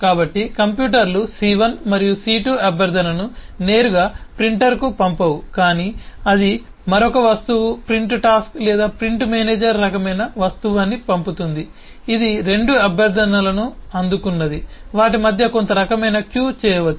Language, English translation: Telugu, that the computers c1 and c2 will not send the request directly to the printer but it will send it another object, say a print task or print manager kind of object, which, having received two request, can make some kind of queue between them based on the arrival and send them one by one to the printer